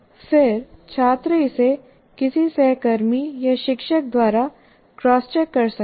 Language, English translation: Hindi, And then I can get it cross checked by my peer or by the teacher